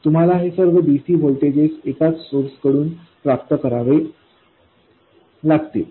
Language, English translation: Marathi, You have to obtain all these DC voltages from a single source